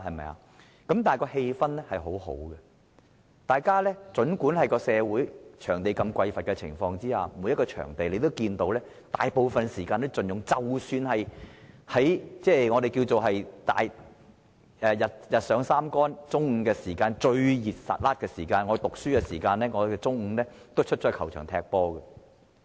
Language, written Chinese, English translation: Cantonese, 但是，當時的氣氛很好，儘管社會在場地匱乏的情況下，每個場地大部分時間都被盡用，即使日上三竿，中午最炎熱的時候，我們也會到球場踢足球。, Nevertheless we enjoyed great sports atmosphere that time . Because of the scarcity of football pitches the venues were used up most of the time even in late morning or the afternoon when we had to play football under the scorching hot sun . That is a different story now